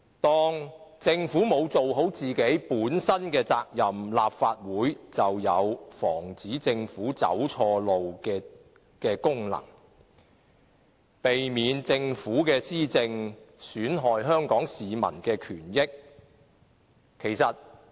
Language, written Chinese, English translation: Cantonese, 當政府未盡本身的責任，立法會便要發揮防止政府走錯路的功能，避免政府的施政損害香港市民的權益。, When the Government fails to fulfil its duties the Legislative Council has to perform its function of preventing the Government from going the wrong way so that the rights and interests of the people of Hong Kong will not be jeopardized by the administration of the Government